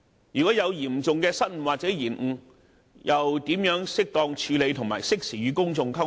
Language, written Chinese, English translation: Cantonese, 若有嚴重的失誤或延誤，又應如何妥善處理，並適時與公眾溝通？, What should be done to properly deal with the serious blunders or delays and communicate with the general public in a timely manner?